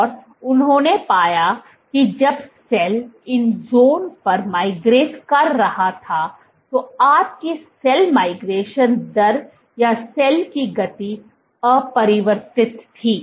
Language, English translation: Hindi, And what they found was when the cell was migrating on these zones your cell migration rate or cell speed was unchanged